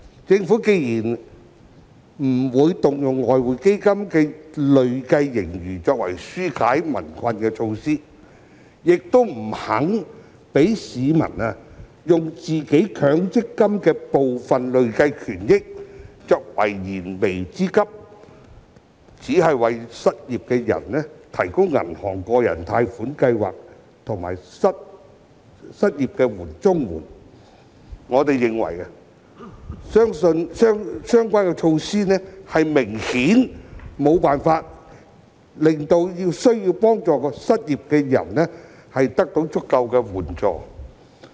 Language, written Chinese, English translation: Cantonese, 政府既不願動用外匯基金的累計盈餘推出紓解民困的措施，亦不肯讓市民利用自己強積金戶口的部分累計權益以解燃眉之急，只為失業人士提供銀行的百分百擔保個人特惠貸款計劃和失業綜援，我們認為這些措施顯然無法令需要幫助的失業人士得到足夠援助。, The Government does not want to use the accumulated surplus of EF for introducing measures to relieve peoples burden and neither is it willing to allow members of the public to meet their pressing needs by withdrawing part of their accrued benefits from the Mandatory Provident Fund System . It has only introduced the 100 % Personal Loan Guarantee Scheme through participating banks and provided the unemployed with the Comprehensive Social Security Assistance but in our opinion these options obviously fail to render adequate assistance to the unemployed who are in need of help